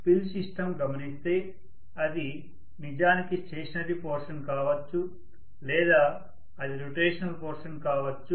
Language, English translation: Telugu, And when we are looking at filed system it can be actually the stationary portion or it can be the rotational portion, no problem